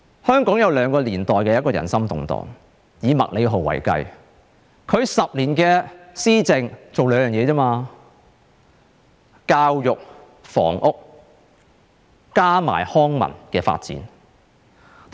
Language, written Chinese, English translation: Cantonese, 香港有兩個年代人心動盪，以麥理浩為例，他10年的施政只做了兩件事，便是教育和房屋，以及康文發展。, In the past eras Hongkongers felt anxious twice . Take MACLEHOSE as an example . In his 10 years of governance he made achievements in two areas education and housing as well as cultural and recreational development